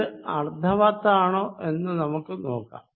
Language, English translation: Malayalam, Let us see it makes sense